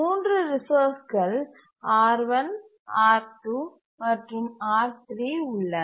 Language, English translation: Tamil, There are three resources, R1, R2, and R3